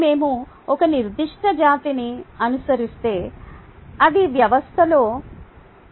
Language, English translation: Telugu, and if we follow a particular species, then it